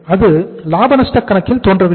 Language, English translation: Tamil, That is not appearing in the profit and loss account